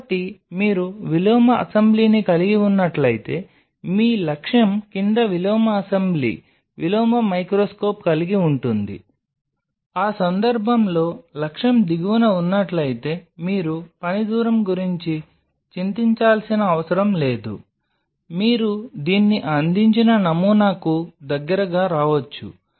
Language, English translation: Telugu, So, in that case you have an inverted assembly your objective is underneath you have an inverted assembly, inverted microscope in that case where the objective is below you do not have to worry about the working distance you can really come close to the sample provided this is transparent